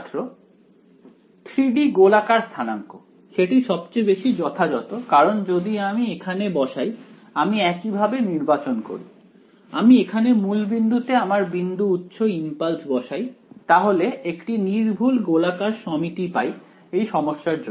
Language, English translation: Bengali, 3 D spherical coordinates that is the most natural because if I put my like if I do the same choice write it; if I put the point source the impulse at the origin then there is perfect spherical symmetry for the problem right